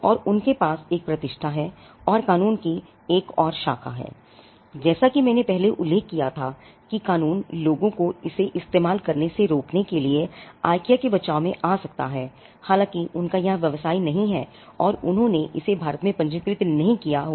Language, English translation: Hindi, And they have a reputation and there is another branch of law, as I mentioned earlier a law of passing of can come to IKEA rescue to stop people from using it though, they may not have business here, and they may not have registered it in India so, it is possible